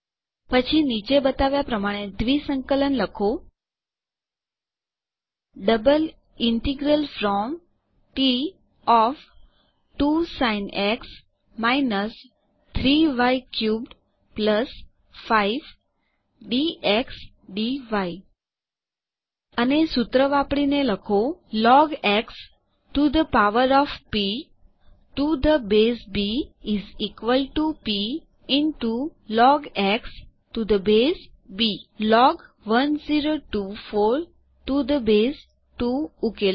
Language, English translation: Gujarati, Next, write a double integral as follows: Double integral from T of { 2 Sin x – 3 y cubed + 5 } dx dy And using the formula: log x to the power of p to the base b is equal to p into log x to the base b solve log 1024 to the base 2 Format your formulae